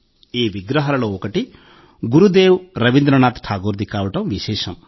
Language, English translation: Telugu, One of these statues is also that of Gurudev Rabindranath Tagore